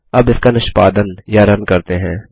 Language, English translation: Hindi, Now let us execute or run it